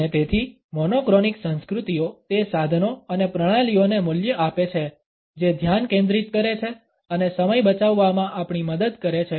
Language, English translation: Gujarati, And therefore, monochronic cultures value those tools and systems which increase focus and help us in saving time